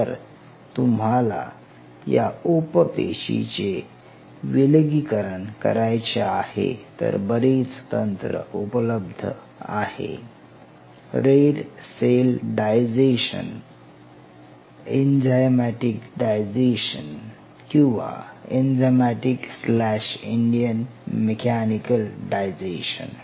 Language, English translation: Marathi, And suppose you have to isolate these satellite cells from here you needed to do a lot of the techniques what you have red cell digestion or enzymatic digestion, enzymatic slash mechanical digestion one